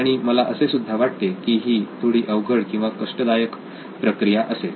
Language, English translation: Marathi, And I think that would be a pretty cumbersome process